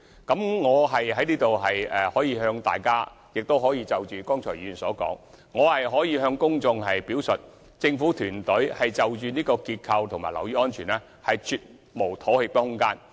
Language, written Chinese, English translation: Cantonese, 回應議員剛才的發言，我想在此向各位議員及公眾表述，政府團隊對結構及樓宇安全，絕無妥協的空間。, In response to Members comments made just now I would like to tell Members and the public that the government team considers that there is absolutely no room for compromise as regards the structural safety of buildings